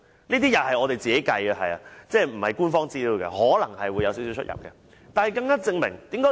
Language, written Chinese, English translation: Cantonese, 這些是我們自行計算的，不是官方資料，可能會有少許差異。, This calculation is done by us and not the Government . There may be a little variation